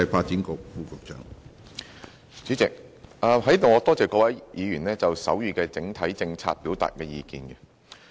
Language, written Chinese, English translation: Cantonese, 主席，我在此多謝各位議員就手語的整體政策表達意見。, President I wish to thank Members for expressing their views on the overall policy on sign language